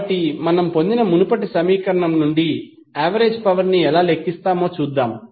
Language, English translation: Telugu, So, let us see how we will calculate the average power power from the previous equation which we derived